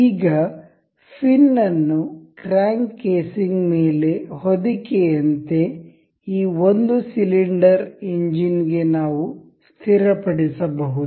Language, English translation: Kannada, Now, we can fix this fin over this crank casing as a covering for the single cylinder engine